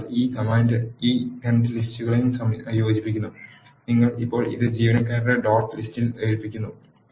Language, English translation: Malayalam, So, this command concatenates these two lists, you are now assigning it to the employee dot list